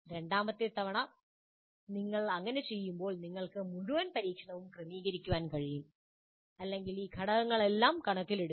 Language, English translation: Malayalam, And then second time you do, you will be able to adjust many, your entire experiment or your initiative taking all these factors into consideration